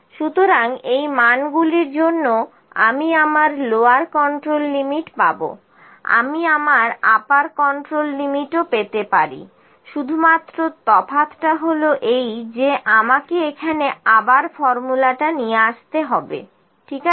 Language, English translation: Bengali, So, I will get my lower control limit for these values, I can even find my upper control limit the only difference I am just dragging this formula here again, ok